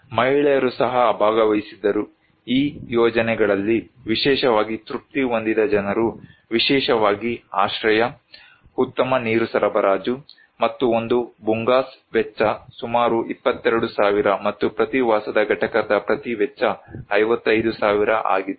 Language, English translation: Kannada, Women also participated so, people who were very satisfied with these projects, particularly with shelter, very good water supply, and the cost of the one Bhungas is around 22,000 and each cost of the each dwelling unit was 55,000